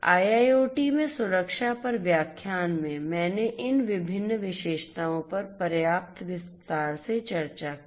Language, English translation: Hindi, In the lecture on security in IIoT I discussed these different features in adequate detail